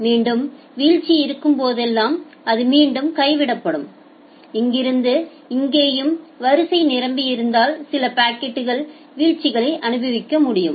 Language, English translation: Tamil, And then if whenever there is a drop it will again drop and here from here also if the queue becomes full you can experience certain packet drops